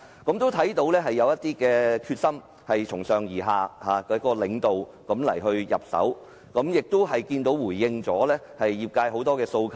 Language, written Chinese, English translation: Cantonese, 我看到政府有決心從上而下由領導方面入手，亦回應了業界很多訴求。, I notice that the Government has the commitment to assume a leading role to promote the work in a top - down manner and it has also responded to the aspirations of the industry